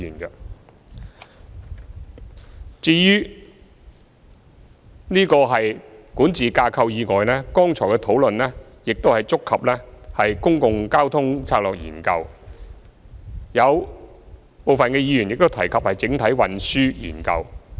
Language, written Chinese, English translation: Cantonese, 除了管治架構以外，剛才的討論亦觸及《公共交通策略研究》，有部分議員亦提及整體運輸研究。, Apart from governance structure the Public Transport Strategy Study has also been covered in the discussion just now and some Members have talked about conducting a comprehensive transport study